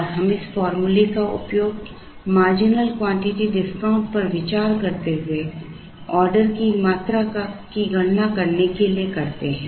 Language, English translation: Hindi, And we use this formula to compute the order quantity considering the marginal quantity discount